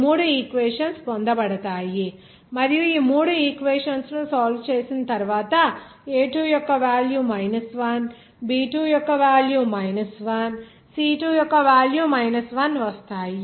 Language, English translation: Telugu, You will see these three equations will be obtained and after solving these three equations, you will see that the value of a2 will be coming as 1 b2 will be coming as 1again c2 will be coming as 1